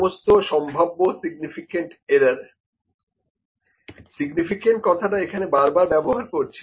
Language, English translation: Bengali, All the potential significant errors, the word significant is being used again and again here